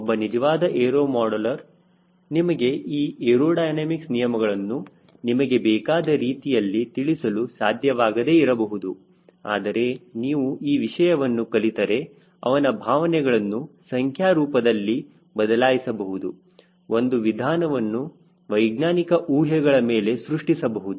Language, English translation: Kannada, he may not be able to explain the law of aerodynamics the way you want, but if we have learn this course, you should be able to translate his feel into number, a radio procedure based on scientific assumptions